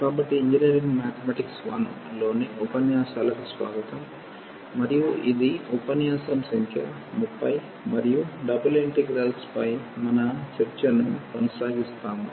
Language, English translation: Telugu, So, welcome back to the lectures on Engineering Mathematics I and this is lecture number 30 and you will continue our discussion on Double Integrals